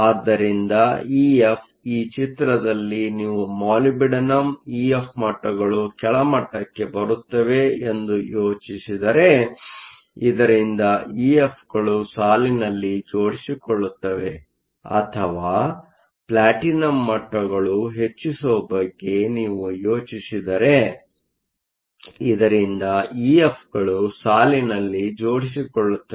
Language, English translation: Kannada, So, E F; E F in this picture you can think of the molybdenum levels going down, so that the E F's line up or you can think of the platinum going up so that the E F's line up, either case is OK